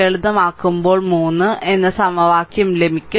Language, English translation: Malayalam, So, upon simplification you will get this equation 3 right